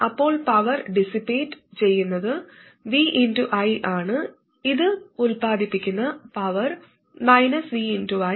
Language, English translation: Malayalam, Then the power dissipated is v times i, and the power generated by this would be minus v times i